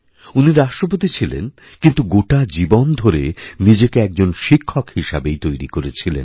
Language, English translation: Bengali, He was the President, but all through his life, he saw himself as a teacher